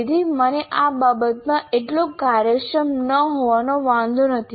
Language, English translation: Gujarati, So I don't mind being not that very efficient with respect to this